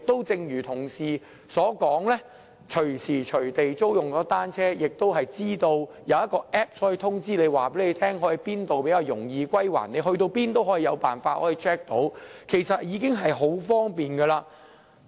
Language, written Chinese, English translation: Cantonese, 正如同事所說，現在可以隨時隨地租用單車，更有一個 App 可以通知租車者往哪裏歸還比較容易，不論往哪裏也可以查看，這其實已很方便。, As Honourable colleagues said one can rent a bicycle anytime and anywhere now . There is an App informing hirers of the most convenient locations for them to return their bicycles . Hirers can check the App for the locations wherever they go